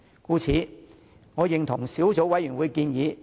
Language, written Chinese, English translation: Cantonese, 故此，我贊同小組委員會的建議。, Hence I agree with the recommendations of the Subcommittee